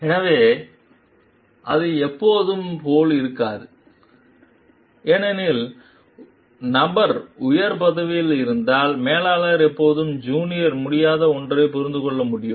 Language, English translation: Tamil, So, it may not be always like because the person is in the higher designation, the manager can always understand something which is junior cannot